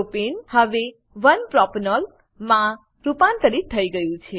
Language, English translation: Gujarati, Propane is now converted to 1 Propanol